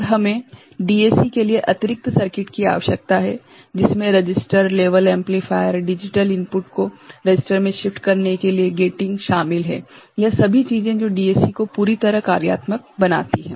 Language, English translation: Hindi, And, we need additional circuit for DAC which involves register, level amplifier, gating to shift digital input to register, all these things and that makes the DAC fully functional